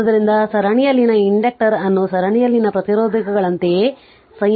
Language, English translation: Kannada, So, inductor in series are combined in exactly the same way as resistors in series right